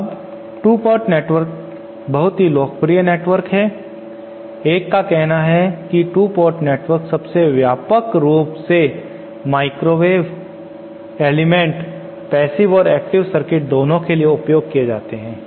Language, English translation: Hindi, Now 2 port networks are very popular one says 2 port networks are the most widely used microwave components both for passive as well as active circuits